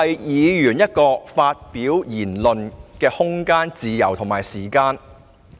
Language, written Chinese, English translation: Cantonese, 議員有其發表言論的空間、自由及時間。, Members should have the room freedom and time to express their views